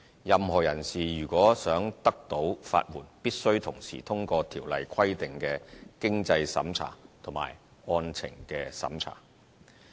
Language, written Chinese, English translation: Cantonese, 任何人士如想獲得法援，必須同時通過《條例》規定的經濟審查及案情審查。, To qualify for legal aid a person is required to satisfy both the means test and merits test as provided by the Ordinance